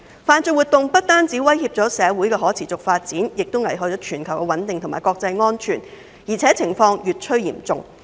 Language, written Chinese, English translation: Cantonese, 犯罪活動不但威脅社會的可持續發展，危害全球的穩定及國際安全，情況還越來越嚴重。, Criminal activities do not only pose threats to sustainable social development but also jeopardize global stability and international security and the situation is also getting increasingly serious